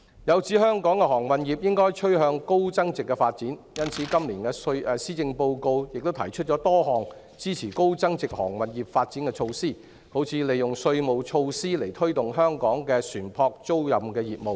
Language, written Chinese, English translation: Cantonese, 有指香港的航運業應該趨向高增值發展，因此，今年的施政報告亦提出多項支持高增值航運業發展的措施，例如利用稅務措施推動香港的船舶租賃業務。, There is the view that the maritime sector in Hong Kong should steer towards high value - added development . Accordingly the Policy Address also presents a number of measures to support the development of high value - added maritime services such as using tax measures to foster ship leasing business in Hong Kong